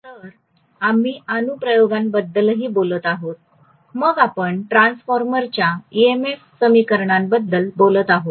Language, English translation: Marathi, So we will be talking about the applications as well, then we will be talking about EMF equation for a transformer